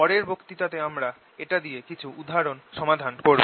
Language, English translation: Bengali, in the next lecture we are going to solve some examples using this